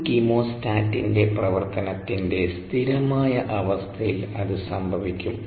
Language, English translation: Malayalam, so that will happen under steady state conditions of operation of a chemostat